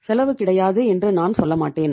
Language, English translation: Tamil, I wonít say that it doesnít have a cost